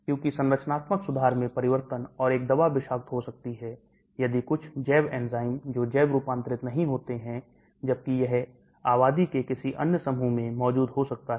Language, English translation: Hindi, Because of the changes in the structural features, and a drug can be toxic if certain bio enzymes which bio transform do not exist, whereas it may exist in some other set of population